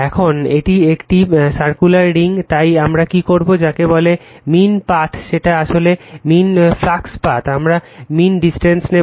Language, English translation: Bengali, Now, this is a circular ring so, what we will do is we will take your what you call that you are mean path, this is actually mean flux path, we will take the mean distance right